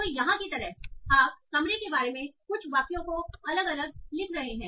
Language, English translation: Hindi, So like here, so you are having different sentences, some sentences about rooms